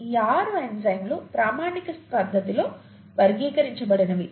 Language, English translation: Telugu, The six types that the enzymes are classified into in a standardised fashion